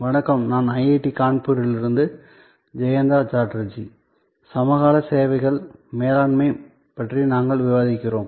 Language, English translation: Tamil, Hello, I am Jayanta Chatterjee from IIT, Kanpur; when we are discussing Managing Services Contemporary Issues